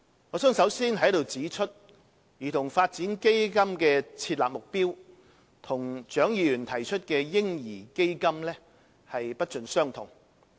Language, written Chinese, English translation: Cantonese, 我想首先在此指出，兒童發展基金的設立目標與蔣議員提出的"嬰兒基金"不盡相同。, I wish to point out in the first place that the objective of CDF is different from that of the baby fund proposed by Dr CHIANG